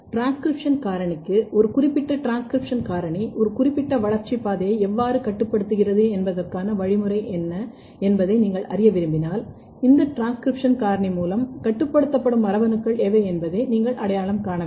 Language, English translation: Tamil, Then another very important thing particularly with transcription factor is, if you want to nail down that what is the mechanism how a particular transcription factor is regulating a particular developmental pathway, you have to identify what are the genes which are regulated by this transcription factor